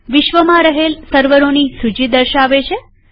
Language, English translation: Gujarati, shows a list of servers across the globe